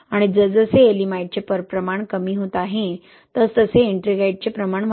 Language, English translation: Marathi, And as Ye'elimite is decreasing in amount, we see increase in the amount of Ettringite